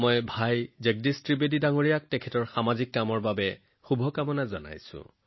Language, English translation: Assamese, I wish Bhai Jagdish Trivedi ji all the best for his social work